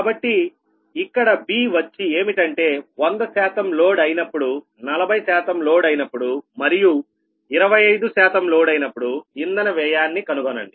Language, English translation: Telugu, b is: find the fuel cost when hundred percent loaded, forty percent loaded and twenty five percent loaded